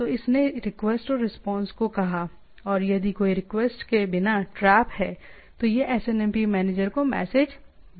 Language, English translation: Hindi, So, it said request and response, and if there is a trap without any request it can send the trap message to the SNMP manager